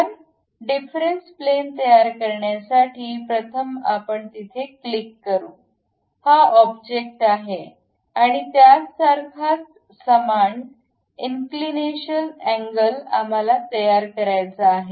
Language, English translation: Marathi, So, to construct the difference plane, first we will go there click; this is the object and with respect to that some inclination angle we would like to have